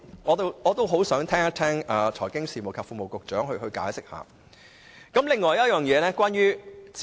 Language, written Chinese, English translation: Cantonese, 我很想聽財經事務及庫務局局長解釋一下。, I look forward to listening to the explanation of the Secretary for Financial Services and the Treasury